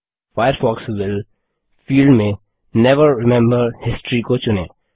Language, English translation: Hindi, In the Firefox will field, choose Never remember history